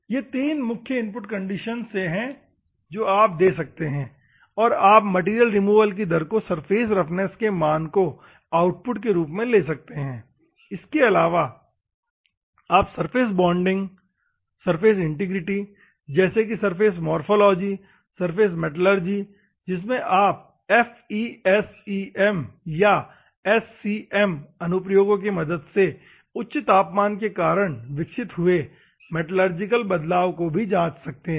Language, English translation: Hindi, These are the three main input condition that you can give and normally, you can measure the material removal, as a one output and surface roughness value, as another output and you can also check the surface bonding, surface integrity like surface morphology, surface metallurgy because of the high temperature that is developed any metallurgical changes is there on the surface or something you can cross check using FESEM or SCM applications, ok